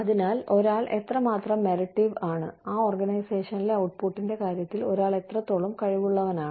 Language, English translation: Malayalam, And, so, how meritorious one is, how capable one is, in terms of output within that organization